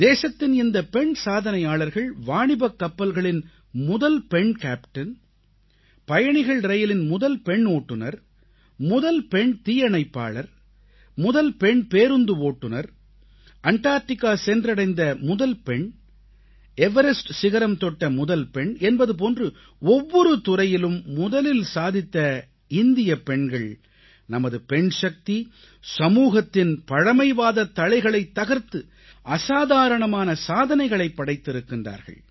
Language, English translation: Tamil, Women achievers of our country… the first female Merchant Navy Captain, the first female passenger train driver, the first female fire fighter, the first female Bus Driver, the first woman to set foot on Antarctica, the first woman to reach Mount Everest… 'First Ladies' in every field